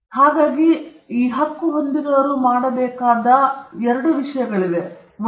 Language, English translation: Kannada, So there are two things the right holder needs to do: 1